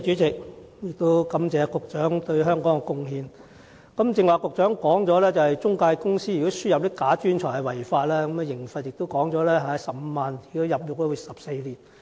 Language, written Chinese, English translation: Cantonese, 正如局長剛才提到，不良中介公司輸入"假專才"屬違法，最高刑罰為罰款15萬元及入獄14年。, As just mentioned by the Secretary it is an offence for unscrupulous intermediaries to import fake talents to Hong Kong and offenders are liable to a maximum fine of 150,000 and imprisonment for 14 years